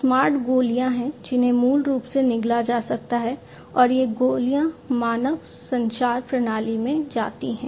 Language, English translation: Hindi, There are smart pills which basically can be swallowed and these pills basically go to the human circulatory system